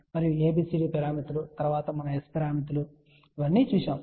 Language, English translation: Telugu, And after ABCD parameters we looked at S parameters